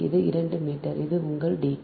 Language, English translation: Tamil, so this is two meter